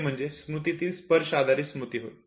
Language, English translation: Marathi, A touch based memory could also exist